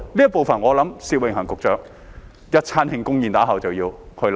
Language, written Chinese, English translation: Cantonese, 這部分我想薛永恒局長在一頓慶功宴之後便要考慮。, I think Secretary Alfred SIT will have to consider this after a celebration banquet